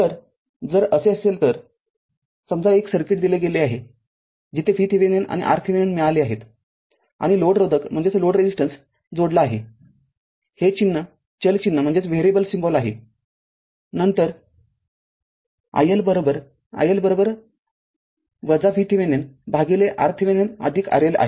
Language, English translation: Marathi, So, if it is so then suppose a circuit is given where we have got V Thevenin and R Thevenin right and a load resistance is connected, this symbol is a variable symbol right, then i L is equal to i L is equal to your V Thevenin by R Thevenin plus R L right